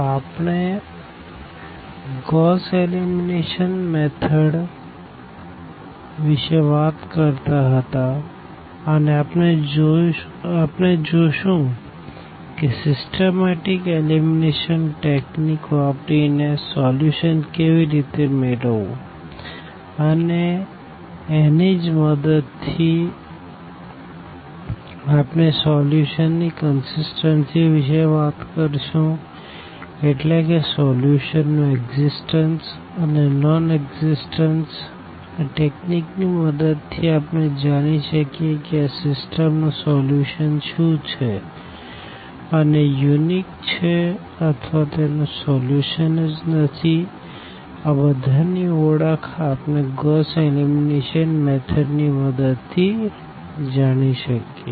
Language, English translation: Gujarati, So, we will be talking about this Gauss elimination method and there we will see that how to get the solution using this very systematic elimination technique and with the help of the same we will also talk about the consistency of the solution; that means, about the existence and non existence of the solution with the help of this technique we can identify whether the system has a solution and it is unique or it does not have a solution, all these identification we can also check with this Gauss elimination method